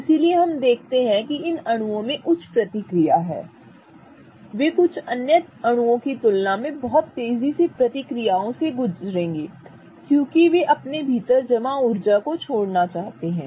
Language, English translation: Hindi, They will undergo reactions much quickly than some other molecules because they want to release the energy that is stored inside them